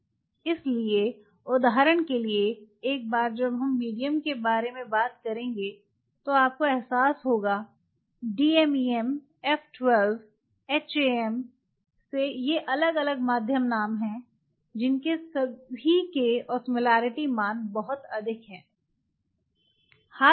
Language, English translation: Hindi, So, for example, once we will go to the medium you will realize medium like d m a m all these have F 12, HAM these are different medium names they all have pretty high osmolarity values